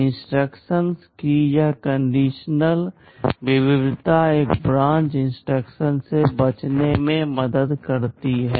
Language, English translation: Hindi, This conditional variety of instructions helps in avoiding one branch instruction